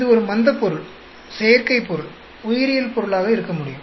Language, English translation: Tamil, It could be an inert material, synthetic material, biological material